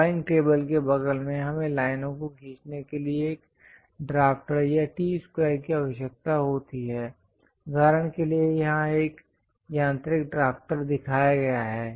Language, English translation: Hindi, Next to the drawing table, we require a drafter or a T square for drawing lines; for example, here, a mechanical drafter has been shown